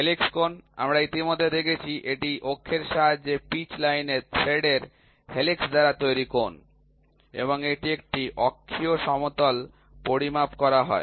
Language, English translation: Bengali, Helix angle, we have already seen it is the angle made by the helix of the thread at the pitch line with the axis this is and it is measured in an axial plane